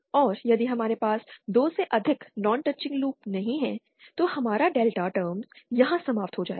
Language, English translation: Hindi, And if we do not have more than 2 non touching loops, then our delta term will end here